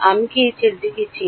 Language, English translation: Bengali, Do I know this guy